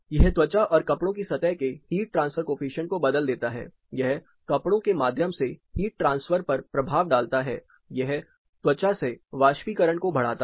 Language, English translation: Hindi, It alters the skin and clothing surface heat transfer coefficient, it as an impact of heat transfer through the clothing also, it increases the evaporation from skin